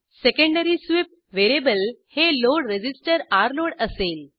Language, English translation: Marathi, Secondary sweep variable will be the load resistor Rload